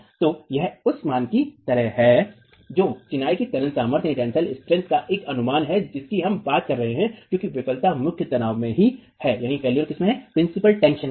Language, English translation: Hindi, So, this is the sort of value, an estimate of the tensile strength of masonry that we are talking of because the failure is in the principal tension itself